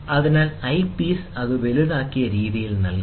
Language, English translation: Malayalam, So, the eyepiece provides it in a magnified manner